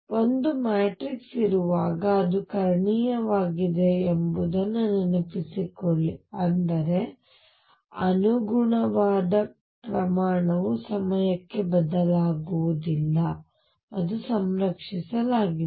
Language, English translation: Kannada, Recall that whenever there is a matrix which is diagonal; that means, the corresponding quantity does not change with time and is conserved